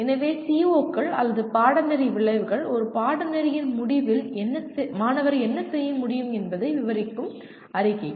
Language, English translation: Tamil, So COs or course outcomes are statements that describe what student should be able to do at the end of a course